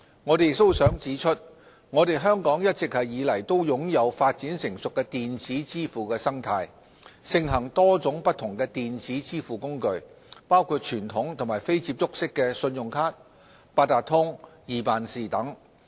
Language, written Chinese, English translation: Cantonese, 我們亦想指出，香港一直以來都擁有發展成熟的電子支付生態，盛行多種不同的電子支付工具，包括傳統及非接觸式信用卡、八達通、易辦事等。, We would also like to point out that Hong Kong has a well - developed and mature electronic payment ecosystem . Various electronic payment means including conventional and contactless credit cards Octopus and EPS have long been available and are widely adopted by the public for making payments